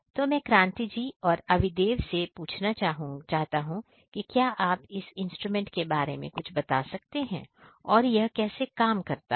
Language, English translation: Hindi, So, I would like to ask Kranti as well as Avidev could you please explain about this particular instrument how it works